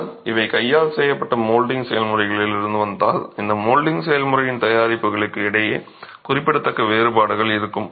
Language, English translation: Tamil, But if these are coming from handmade molding processes, you will have significant differences between the products of this molding process itself